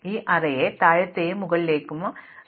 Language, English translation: Malayalam, Partition this array into the lower and upper part